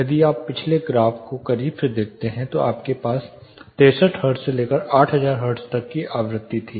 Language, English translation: Hindi, If you closely look at the previous graph you had frequency is ranging from 63 hertz all the way to 8000 hertz